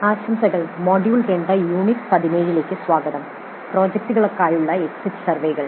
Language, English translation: Malayalam, Greetings, welcome to module 2, Unit 17 on Exit Surveys for Projects